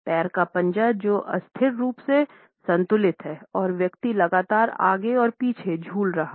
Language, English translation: Hindi, Feet which are rather unsteadily balanced and the person is continually swing back and forth